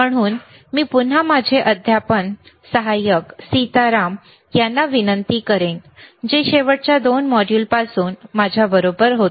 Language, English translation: Marathi, So, I will again request my teaching assistant sSitaram, who iswas with me for since last 2 modules also